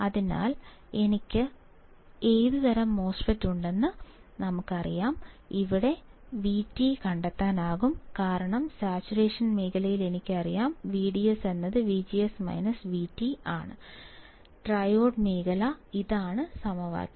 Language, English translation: Malayalam, So, if I know what kind of MOSFET I have, I can find out V T because I know that in saturation region V D S equals to V G S minus V T, triode region; this is the equation